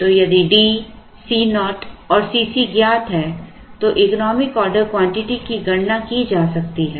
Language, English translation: Hindi, So, if D C naught and C c are known then the economic order quantity can be calculated